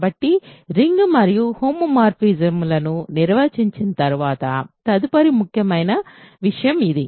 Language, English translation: Telugu, So, after defining rings and homomorphisms the next important thing is this